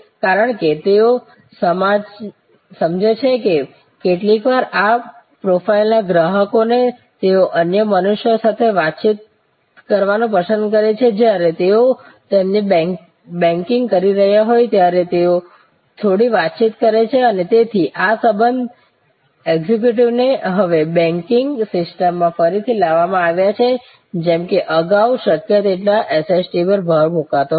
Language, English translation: Gujarati, Because, they understand that sometimes people customer's of this profile they like to interact with other human beings have some chit chat while they are doing their banking and therefore, these relationship executives have been now re introduced in the banking system as suppose to earlier emphasize on as much SST as possible